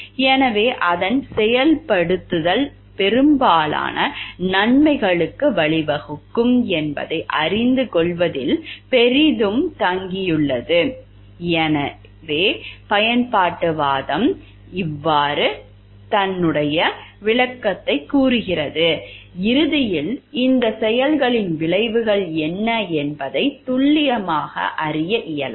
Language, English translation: Tamil, So, even if utilitarianism claims that it is implementation depends greatly on knowing what will lead to most of the good, ultimately it may be impossible to know exactly what are the consequences of these actions